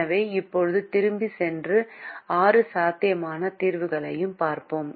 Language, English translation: Tamil, so now let us go back and look at all the six possible solutions